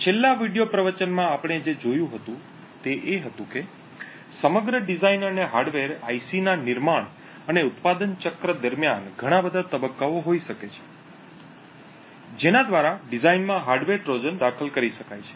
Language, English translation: Gujarati, that during the entire design and manufacture cycle during the entire design and manufacture of a hardware IC there can be many phases on many ways through which a hardware Trojan could be inserted in the design